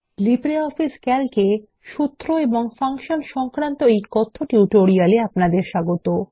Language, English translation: Bengali, Welcome to the Spoken Tutorial on Formulas and Functions in LibreOffice Calc